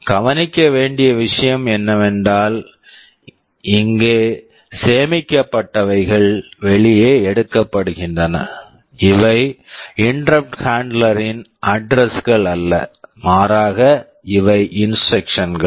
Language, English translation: Tamil, The point to notice is that entries out here, these are not addresses of interrupt handler rather these are instructions